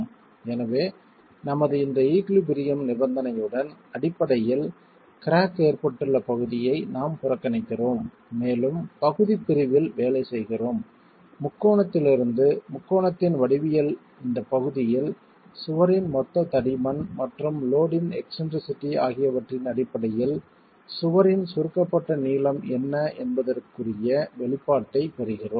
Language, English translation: Tamil, So with this condition for our equilibrium we are neglecting the portion which is basically cracked and we are working on the partial section and in this partial section from the triangle the geometry of the triangle we get an expression of what is the compressed length of the wall in terms of the total width of the total thickness of the wall and the eccentricity of the load itself